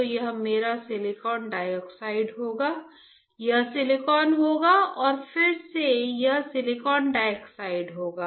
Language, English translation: Hindi, So, this will be my silicon dioxide, this would be silicon and again this one would be silicon dioxide